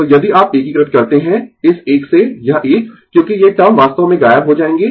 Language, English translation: Hindi, So, if you integrate from this one this one, because these term actually will vanish